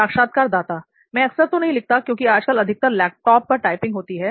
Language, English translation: Hindi, So I write not that often, like nowadays mostly typing in the laptop